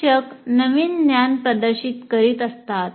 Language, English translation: Marathi, The instructor is demonstrating the new knowledge